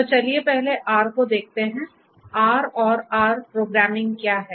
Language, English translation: Hindi, So, let us first look at R, what is R and the R programming